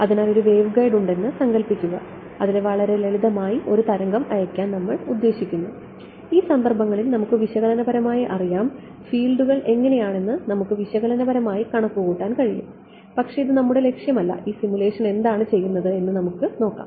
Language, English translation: Malayalam, So, imagine there is waveguide I want to send wave through very simple we know analytically in these cases we can even analytically calculate what the fields look like, but that is not our objective let us see what this simulation does